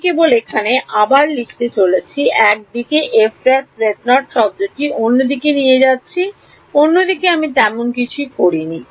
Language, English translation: Bengali, I am just rewriting here bringing the f prime z naught term on one side everything else on the other side I am not done anything so